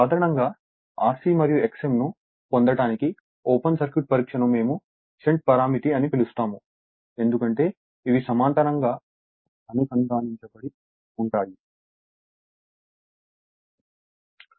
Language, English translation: Telugu, So, generally open circuit test we for to obtain R c and X m that is a sh[unt] we call a shunt parameter because these are connected in parallel